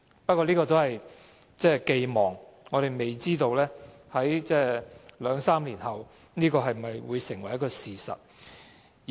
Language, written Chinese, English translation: Cantonese, 不過，這只是寄望，我們未知道在兩三年後，這會否成為事實。, However this is only an expectation and we do not know whether additional niches will really be provided in two or three years